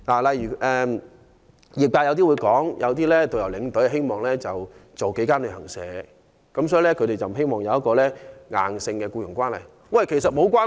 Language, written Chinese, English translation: Cantonese, 例如有業界人士表示，有導遊及領隊希望接待數間旅行社的旅客，所以他們不希望有一個硬性的僱傭關係。, Some trade members for instance hold that tourist guides and tour escorts may prefer receiving tour groups from different travel agents to having a rigid employer - employee relationship